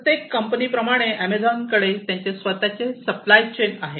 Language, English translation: Marathi, So, Amazon has, every company has, Amazon also has their own supply chain